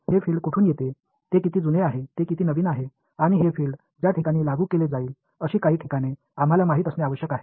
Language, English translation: Marathi, We need to know where is this field coming from, how old is it, how new is it and some of the places where this field will be applied to